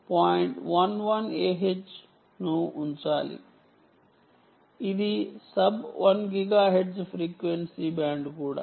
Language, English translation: Telugu, one a h, which is the also the sub one gigahertz frequency band, right